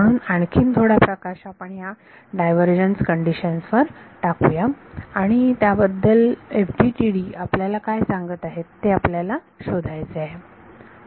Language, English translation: Marathi, So, let us reflect on this divergence condition a little bit, and we want to find out what is FDTD tell us about this